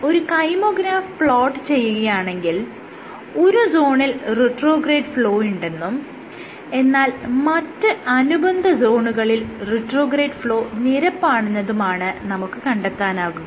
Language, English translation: Malayalam, So, if you plot the kymograph what you will find is there is a zone in which you have retrograde flow, but in the other zones here retrograde flow is flat